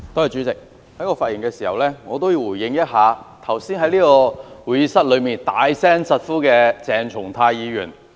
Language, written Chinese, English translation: Cantonese, 主席，我發言想回應一下剛才在會議廳內大聲疾呼的鄭松泰議員。, Chairman I would like to speak in response to Dr CHENG Chung - tai who made a loud appeal in the Chamber just now